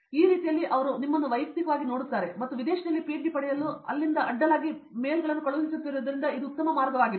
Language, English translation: Kannada, In this way they see you in person and it’s a very good way to get a PhD abroad and as I am sending mails across from here